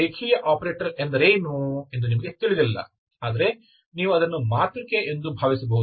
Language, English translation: Kannada, You do not know what is the linear operator but you can think of it is a matrix